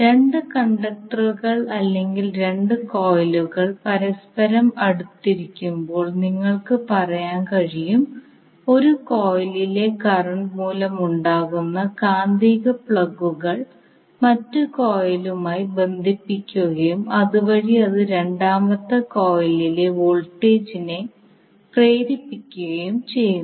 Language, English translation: Malayalam, Now when two conductors or you can say when two coils are in a close proximity to each other the magnetics plugs caused by the current in one coil links with the other coil and thereby it induces the voltage in the second coil and this particular phenomena is known as mutual inductance